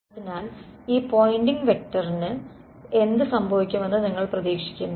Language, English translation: Malayalam, So, what do you expect will happen to this Poynting vector